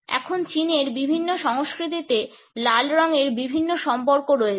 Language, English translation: Bengali, Now the red color has different associations in different cultures in China